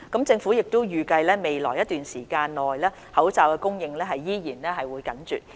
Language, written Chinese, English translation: Cantonese, 政府預計未來一段時間內口罩供應依然緊絀。, The Government expects that the supply of masks will remain tight for some time in the near future